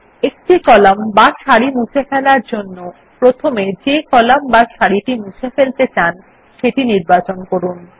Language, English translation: Bengali, For deleting a single column or a row, first select the column or row you wish to delete